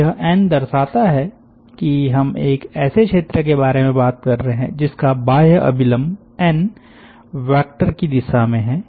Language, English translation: Hindi, so this n denotes that we are talking about an area which is having its outward normal in the direction of the n vector